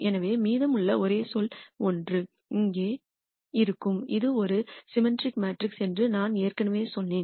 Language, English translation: Tamil, So, the only term remaining will be minus 1 which will be here and I already told you this is a symmetric matrix